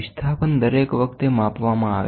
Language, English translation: Gujarati, The displacement each time has to be measured